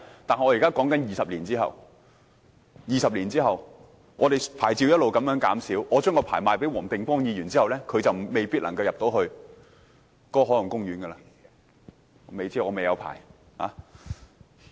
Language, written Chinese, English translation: Cantonese, 但我說的是20年後，到時牌照一直減少，假設我將牌照賣給黃定光議員，他未必能夠進入海岸公園範圍——我不知道，因我沒有牌照。, But I am talking about 20 years from now the time when the number permits will get smaller and smaller . Suppose I have sold my permit to Mr WONG Ting - kwong he may not be able to enter the marine park areas . I am not sure about this as I do not hold such a permit